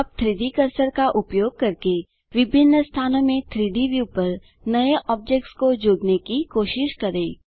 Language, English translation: Hindi, Now try to add new objects to the 3D view in different locations using the 3D cursor